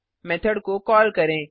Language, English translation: Hindi, Let us call the method